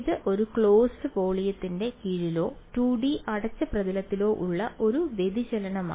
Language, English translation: Malayalam, It is a divergence under a closed volume or in 2D closed surface